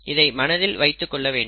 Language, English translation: Tamil, So that is something that we need to keep in mind